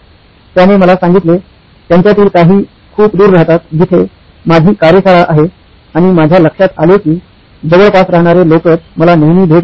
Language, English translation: Marathi, He told me well, some of them live very far away from where I have my workshop and I noticed that only people who live close by, they visit me often